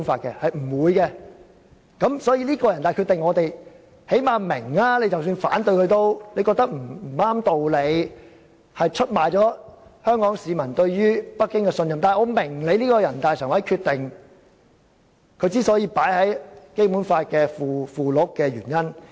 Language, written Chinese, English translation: Cantonese, 因此，即使我們反對這決定，認為這決定沒有道理，出賣了香港市民對北京的信任，然而，最少我們明白把這決定納入《基本法》附件的原因。, Hence this decision of NPCSC did not violate the Basic Law . For this reason even though we opposed this decision considering it unreasonable and betrayal of the trust of Hongkongers in Beijing at least we understood the reason for incorporating this decision into the Annex to the Basic Law